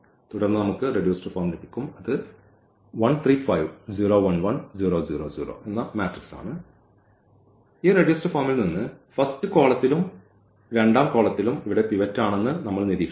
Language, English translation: Malayalam, So, we will get this reduced form, and from this reduced form we will now observe that this is the pivot here this is also the pivot